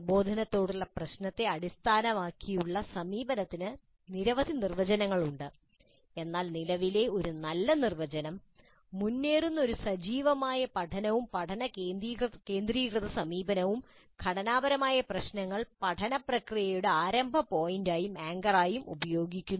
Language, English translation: Malayalam, There were several definitions but one good current definition is that problem based approach to, one good current definition is that a progressive active learning and learner centered approach where unstructured problems are used as the starting point and anchor for the learning process